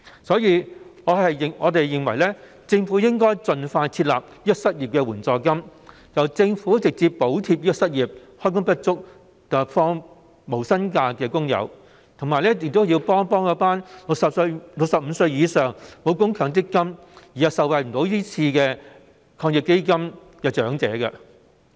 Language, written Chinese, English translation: Cantonese, 所以，我們認為，政府應該盡快設立失業援助金，直接補貼失業、開工不足及要放無薪假的工友，以及幫助65歲以上、因沒有強積金供款而不能受惠於防疫抗疫基金的長者。, Hence we hold that the Government should set up an unemployment financial assistance scheme as soon as possible so as to directly subsidize workers who are unemployed underemployed or are forced to take no - pay leave and to provide help to elders aged 65 or above who cannot benefit from the Anti - epidemic Fund because they have not contributed to the Mandatory Provident Fund